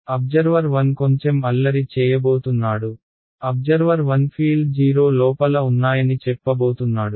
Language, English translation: Telugu, Observer 1 is going to play little bit of a mischief, observer 1 is going to say fields are 0 inside